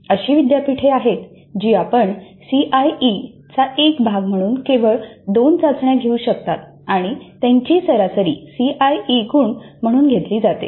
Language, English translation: Marathi, There are universities where you can conduct only two tests as a part of CIE and their average is taken as the CIE marks